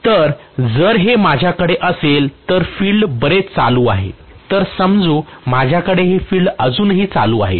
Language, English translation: Marathi, So if I have this, whereas the field is very much on, let us say I am going to have the field still on